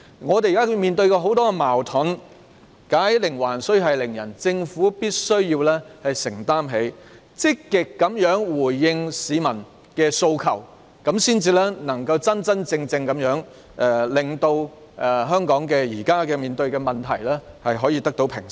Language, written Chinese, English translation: Cantonese, 我們現在面對很多矛盾，"解鈴還須繫鈴人"，政府必須積極回應市民的訴求，這樣才能真正令香港當前的問題得到平息。, We are facing lots of conflicts now . Let him who tied the bell on the tiger take it off . The Government must proactively respond to the public aspirations and only in this way can the existing problems in Hong Kong be truly resolved